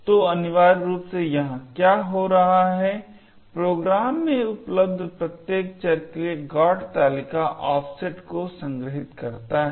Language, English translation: Hindi, So, essentially what is happening here is the GOT table stores the offset for each and every variable present in the program